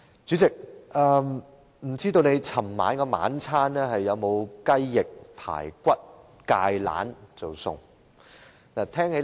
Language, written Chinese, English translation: Cantonese, 主席，不知道你昨天的晚餐有否吃到雞翼、排骨和芥蘭呢？, President I wonder if you had chicken wings spare ribs and kale for dinner yesterday